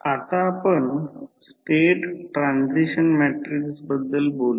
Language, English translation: Marathi, Now, let us talk about the State Transition Matrix